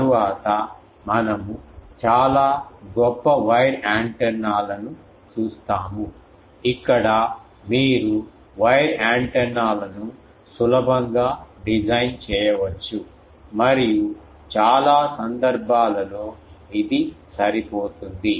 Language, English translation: Telugu, Next we will see some of the very noble wire antennas where you can easily design wire antennas and for many cases it suffices